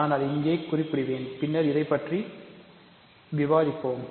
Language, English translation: Tamil, So, I will remark that here and we will discuss this later